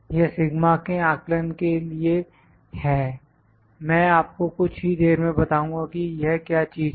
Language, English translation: Hindi, This is for sigma estimate I will just let you know what is this thing